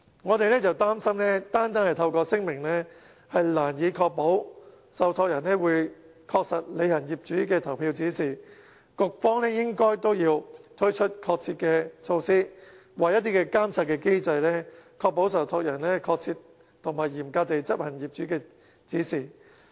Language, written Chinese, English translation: Cantonese, 我們擔心單單透過聲明難以確保受託人會確實履行業主的投票指示，局方也要推出確切的措施或監察機制，確保受託人確切和嚴格執行業主的指示。, We fear that trustees will not easily be bound by a mere declaration so the Bureau still needs to implement specific measures or a supervision system to ensure that trustees will accurately and strictly carry out owners voting instructions